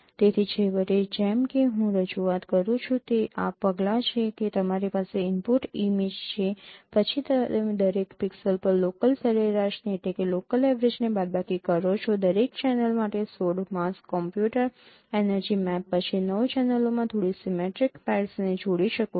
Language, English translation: Gujarati, So, finally, as a representation, these are the steps that you have an input image, then you can subtract the local average at each pixel, convolve with 16 masks, compute energy map for each channel, then combine a few symmetric pairs to nine channels